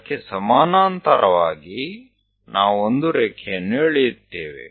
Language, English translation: Kannada, Parallel to that, we will draw a line